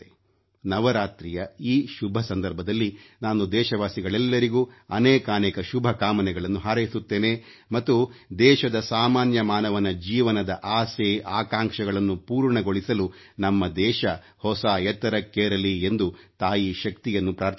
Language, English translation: Kannada, On this pious occasion of Navratri, I convey my best wishes to our countrymen and pray to Ma Shakti to let our country attain newer heights so that the desires and expectations of all our countrymen get fulfilled